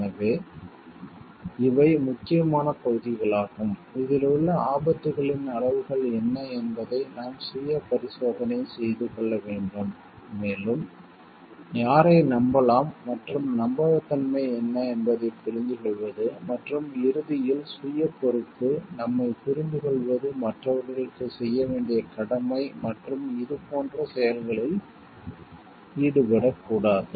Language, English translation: Tamil, So, these are important areas where we need to keep our self check on and maybe understand the what are the degrees of risks involved and more so like who can be trusted and what are the trustworthiness and at the end of course is self responsibility understanding our duty to others and not to get involved in these type of activities